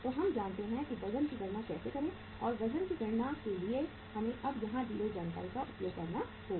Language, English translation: Hindi, So we know that how to calculate the weights and for calculation of the weights we have to now use uh the information given here